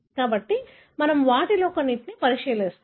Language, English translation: Telugu, So, we will look into some of them